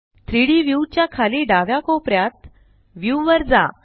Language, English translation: Marathi, Go to View at the bottom left corner of the 3D view